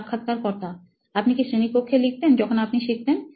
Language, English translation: Bengali, Did you write in classrooms when you were learning